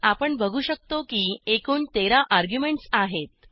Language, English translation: Marathi, We can see that the total arguments are 13